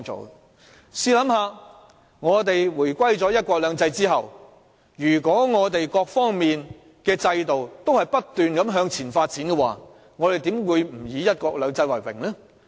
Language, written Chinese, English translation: Cantonese, 大家試想，如果我們回歸後在"一國兩制"下，各方面的制度均不斷向前發展，我們又怎會不以"一國兩制"為榮呢？, Consider this Shall we not take pride in one country two systems if systems in different domains keep developing under one country two systems after the handover?